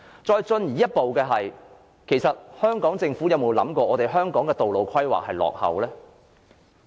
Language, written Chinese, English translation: Cantonese, 再進一步的是，香港政府有沒有想過，香港的道路規劃是很落伍的呢？, Furthermore has the Hong Kong Government ever reflected on its outdated road planning?